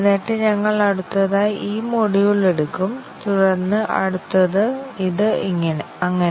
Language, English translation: Malayalam, And then we next take up with this module and then the next this one and so on